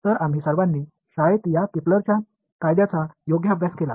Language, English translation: Marathi, So, we all studied these Kepler’s law in school right